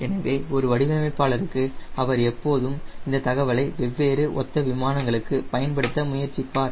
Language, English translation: Tamil, so for a designers he will always try to use this information for different, different, similar aircraft